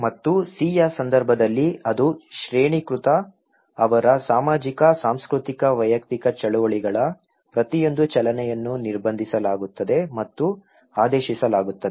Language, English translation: Kannada, And in case of C which is very hierarchical okay, every movement of their social, cultural personal movements are restricted and ordered